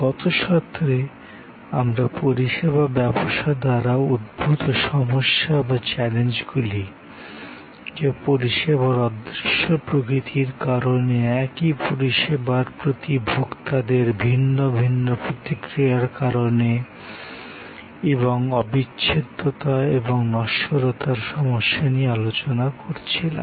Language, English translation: Bengali, In the last session, we were discussing about the problems or challenges post by the service business, because of the intangible nature of service, because of the heterogeneity of consumer reaction to the same service instance and the inseparability and perishability issues